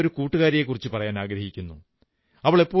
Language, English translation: Malayalam, I want to tell you about a friend of mine